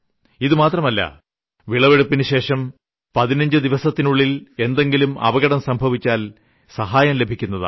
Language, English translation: Malayalam, And not only this, even if something happens within 15 days of crop harvesting, even then assurances for support is provided